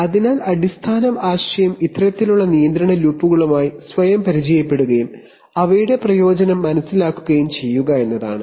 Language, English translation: Malayalam, So this, so the basic idea is to familiarize ourselves with this kind of control loops and understand their advantage